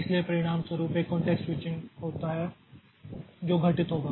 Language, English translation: Hindi, So, as a result this contact switching with there is one context switching that will occur